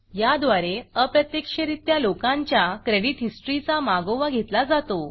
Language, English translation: Marathi, This is done by indirectly tracking their credit history